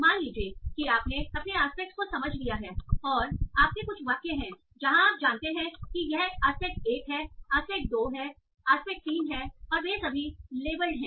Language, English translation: Hindi, So now, so once, suppose you have understood your aspects and you have some sentences where you know, okay, this is aspect one aspect two, aspect three, they are all labelled